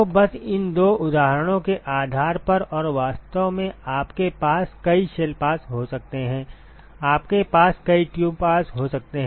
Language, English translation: Hindi, So, simply based on these two examples and in fact, you can have multiple shell passes, you can have multiple tube passes